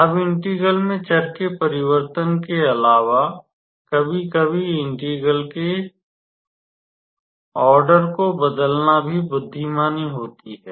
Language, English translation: Hindi, Now, besides change of variable of integrals sometimes it is also wise to change the order of integration